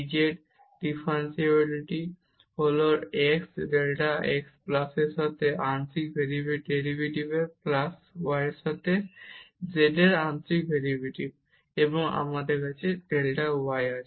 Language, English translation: Bengali, And, now this dz the differential of z is partial derivative with respect to x delta x plus the partial derivative of z with respect to y and then we have delta y